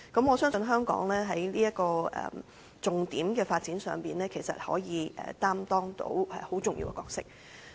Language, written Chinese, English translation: Cantonese, 我相信，香港在這個重點的發展上，可以擔當很重要的角色。, I believe that on this key development Hong Kong can play a very important role